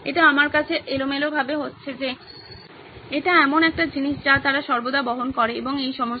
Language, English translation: Bengali, It just randomly occurred to me that, that is something that they always carry around and all that